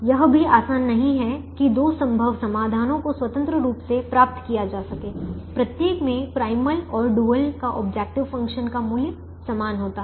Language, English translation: Hindi, it is not also that easy to get two feasible solutions independently, one each to the primal and dual having the same value of the objective function